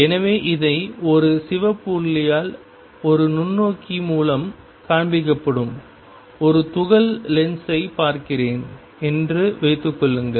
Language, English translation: Tamil, So, consider this suppose I am looking at a particle shown here by a red dot through a microscope is the lens